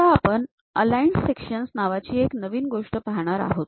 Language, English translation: Marathi, Now, we will look at a new thing named aligned section